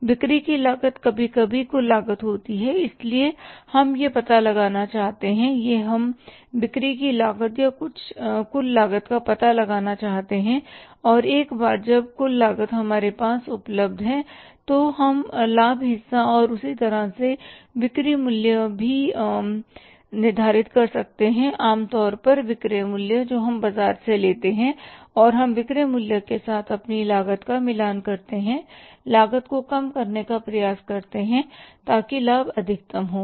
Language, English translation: Hindi, So, this we want to find out this we want to find out the cost of sale or the total cost and once the total cost is available with us then we can determine the say profit margin as well as the selling price normally selling price we take from the market and we match our cost with the selling price, try to minimize the cost so that the profit is maximized